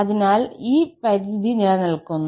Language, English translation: Malayalam, So, this limit exists